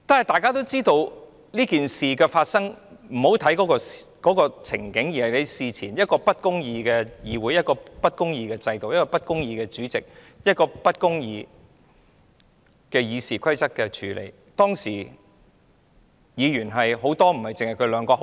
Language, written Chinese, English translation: Cantonese, 大家也知道事件的過程，不應只看當時的情景，因為這是源於一個不公義的制度、一個不公義的主席，對《議事規則》不公義的處理。, We all know the course of the incident . We should not merely focus on the scene at the time as the incident should be attributed to an unjust system and the unjust handling of the Rules of Procedure by an unrighteous President